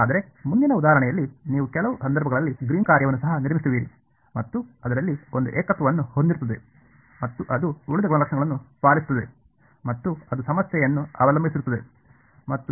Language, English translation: Kannada, But, we will see in the next example that you will in some cases even construct a Green’s function which has a singularity in it and it obeys the rest of the properties also it will be problem dependent